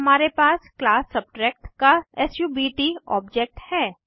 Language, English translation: Hindi, Then we have subt object of class Subtract